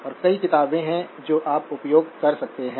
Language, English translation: Hindi, And there are several books that you can use